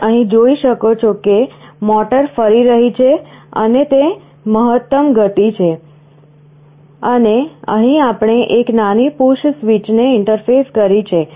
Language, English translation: Gujarati, You can see here that the motor is rotating and it is the maximum speed, and here I have interfaced a small push switch